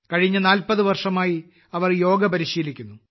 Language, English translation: Malayalam, She has been practicing yoga for the last 40 years